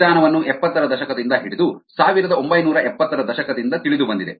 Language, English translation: Kannada, the method was known from the seventies onwards, nineteen seventies onwards